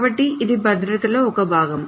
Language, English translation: Telugu, So that's one part of the security